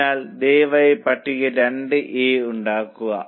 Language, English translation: Malayalam, So, please make column 2A